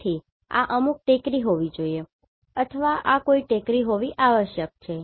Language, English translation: Gujarati, So, this must be some hill or this must be some hill right